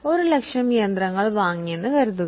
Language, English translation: Malayalam, Suppose we have purchased one asset, say machinery for 1 lakh